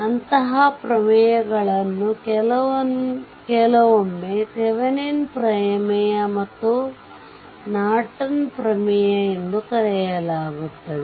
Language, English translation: Kannada, And, so such theorems are called sometime Thevenin’s theorem and Norton’s theorem right